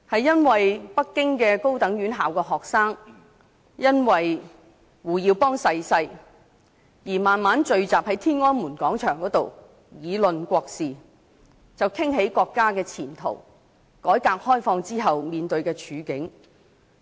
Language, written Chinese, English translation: Cantonese, 當時北京高等院校學生因為胡耀邦逝世而在天安門廣場聚集，議論國事，談到國家的前途，改革開放後面對的處境等。, Back then students of tertiary institutions in Beijing gathered at Tiananmen Square to mourn the death of HU Yaobang . They discussed national issues the future of China and the situation after the opening up and reform and so on